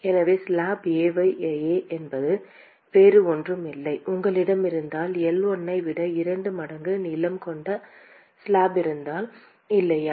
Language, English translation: Tamil, So, remember that slab A is nothing but if you have if you have a slab which is twice the length of L1, right